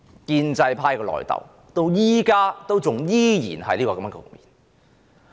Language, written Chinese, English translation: Cantonese, 建制派的內訌局面至今依然存在。, The in - fighting of the pro - establishment camp has continued up to the present